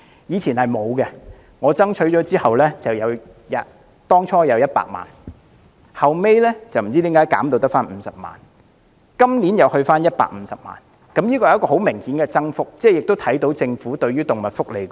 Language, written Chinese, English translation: Cantonese, 以前是沒有的，我爭取後，政府最初撥款100萬元，後來不知為何減至50萬元，今年又增至150萬元，這是很明顯的增幅，也看到政府重視動物福利。, After I pressed for it the Government initially provided 1 million but later the amount was reduced to 500,000 for some unknown reasons . The amount is increased to 1.5 million this year . The rate of increase is obvious and this shows the importance which the Government attaches to animal welfare